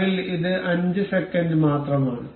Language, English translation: Malayalam, Currently, it is only 5 seconds